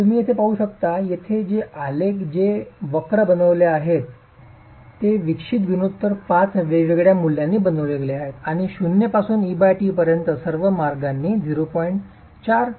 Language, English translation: Marathi, So you can see that here the here these graphs that have been made, these curves that have been made, are for five different values of eccentricity ratio, E by T going from zero all the way to E by T of